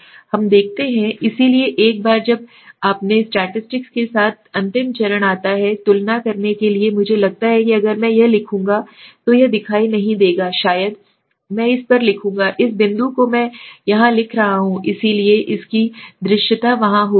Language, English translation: Hindi, Let us see, so once you have done with the statistic the final step comes is to compare the compare I think it will not be visible if I write here, maybe I will write at the top this point I am writing here, so its visibility will be there